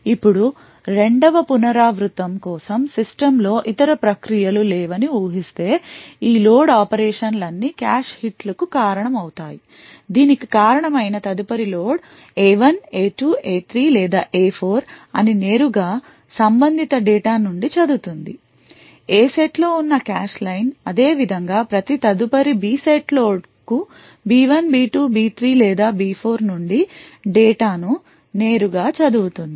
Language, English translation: Telugu, Now, for the second iteration onwards assuming that there is no other process running in the system all of these load operations would result in cache hits the reason being that every subsequent load to say A1 A2 A3 or A4 would directly read the data from the corresponding cache line present in the A set similarly every subsequent load to B1 B2 B3 or B4 would directly read the data from this B set